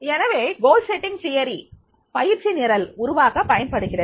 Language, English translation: Tamil, So, goal setting theory is used in training program design